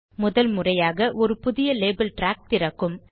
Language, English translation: Tamil, This opens a new Label track the first time